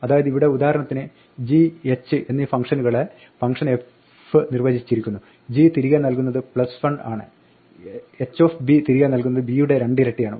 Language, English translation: Malayalam, So, here for instance the function f has defined functions g and h, g of a returns a plus 1, h of b returns two times b